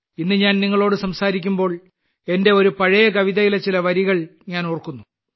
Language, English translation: Malayalam, When I am talking to you today, I am reminded of a few lines of an old poem of mine…